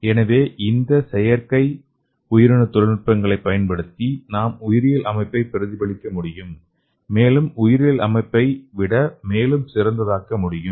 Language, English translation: Tamil, So using these artificial cell technology we can mimic the biological system and also we can make, better than the biological system okay